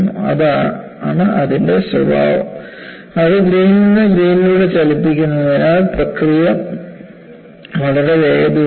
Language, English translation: Malayalam, That is the characteristic of it, and because it moves grain by grain, the process is very fast